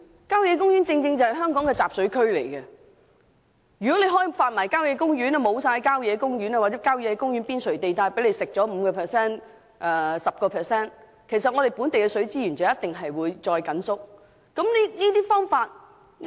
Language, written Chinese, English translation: Cantonese, 郊野公園正是香港的集水區，如要開發所有郊野公園及其邊陲 5% 至 10% 土地，本地水資源一定會進一步收縮。, Country parks are catchment areas of Hong Kong and there will be a further shrinkage of local water resources if all country parks and 5 % to 10 % of land on the periphery of country parks are used for development